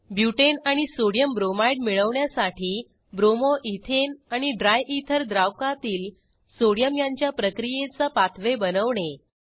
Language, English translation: Marathi, Create a reaction pathway for the reaction of Bromo Ethane and Sodium with solvent Dryether to get Butane amp Sodiumbromide